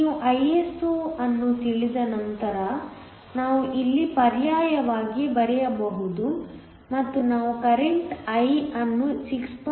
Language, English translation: Kannada, Once you know Iso, we can substitute here and we can get the current the current I is nothing but 6